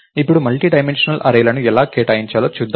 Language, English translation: Telugu, Now, lets see how to allocate a multidimensional array